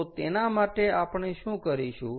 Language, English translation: Gujarati, so therefore, what is going to happen